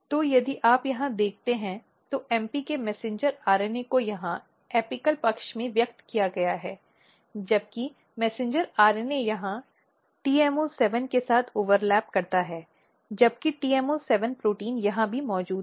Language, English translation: Hindi, So, if you look here the messenger RNA of MP is expressed here in the apical side whereas, messenger RNA basically it overlap here with the TMO7 whereas, TMO7 protein is present here as well as here